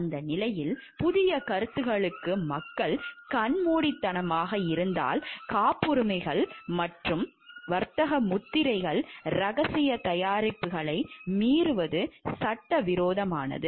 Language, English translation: Tamil, In that stage if people are blind to new concepts violation of patents or trademarks secrets products to be used is illegal